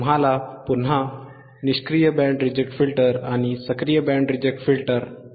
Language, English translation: Marathi, You will again see a Passive Band Reject Filter and we will see an Active Band Reject Filter all right